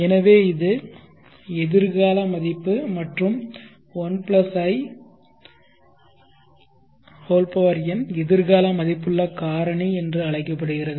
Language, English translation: Tamil, So this is the future worth and I+1 to the power of n is called the future worth factor